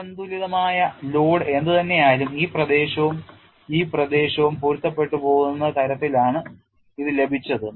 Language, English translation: Malayalam, It was obtain such that whatever is the unbalance load, this area and this area matches